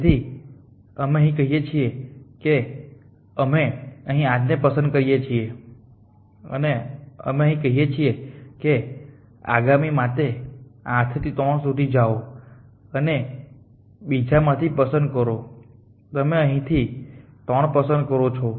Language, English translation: Gujarati, So, let us say we choose 8 here and than we say for the next 1 from 8 you go to 3 choose from the other 1 you put 3 here